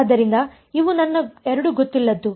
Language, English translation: Kannada, So, these are my 2 unknowns